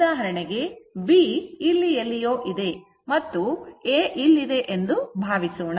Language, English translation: Kannada, For example, suppose if B is somewhere here, and A is somewhere here